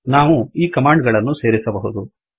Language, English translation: Kannada, We can combine these commands